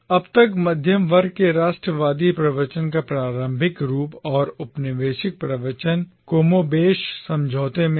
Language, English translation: Hindi, So far the early form of a middle class nationalist discourse and the colonial discourse was more or less in agreement